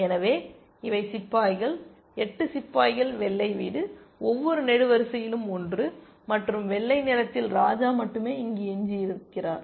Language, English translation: Tamil, So, these are pawns, 8 pawns white house, one in each column, and white has only the king left here essentially